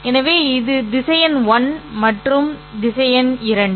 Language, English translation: Tamil, So this is vector one and this is vector two